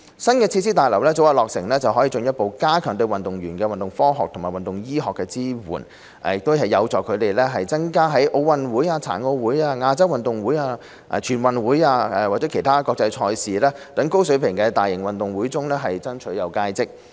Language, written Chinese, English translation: Cantonese, 新設施大樓早日落成，可以進一步加強對運動員的運動科學和運動醫學支援。這有助增加他們在奧運會、殘奧會、亞洲運動會、全運會或其他國際賽事等高水平大型運動會中爭取佳績。, Its early commissioning will further enhance the support to athletes on sports science and sports medicine which would increase athletes chances of scaling new heights in high - level major games such as OG PG the Asian Games NG and other international competitions